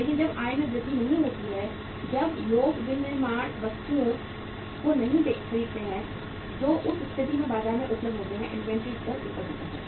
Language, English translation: Hindi, But when the income does not increase, when the people do not buy the manufactured goods in the in which are available in the market in that case inventory level goes up